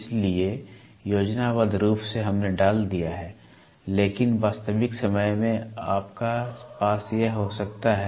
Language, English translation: Hindi, So, schematically we have put, but in real time you can have it